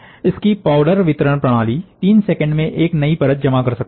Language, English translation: Hindi, Their powder delivery system can deposit a new layer in 3 seconds